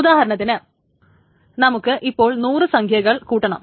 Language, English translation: Malayalam, Now of course this gives you the sum of all the hundred numbers